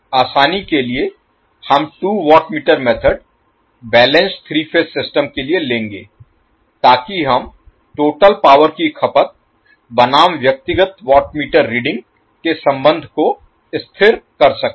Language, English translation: Hindi, For simplicity we will take the two watt meter method for a balanced three phase system so that we can stabilize the relationship of the total power consumption versus the individual watt meter reading